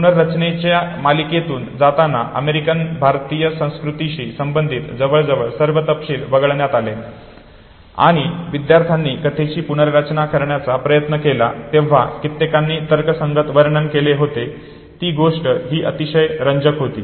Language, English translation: Marathi, Underwent series of reconstructions and almost all details related to the American Indian culture were omitted and several others were rationalized when students try to recollect the story reconstruct the story what was very also interesting was that